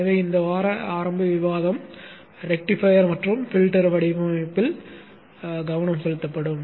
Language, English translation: Tamil, So the initial discussion this week will focus on the rectifier and filter design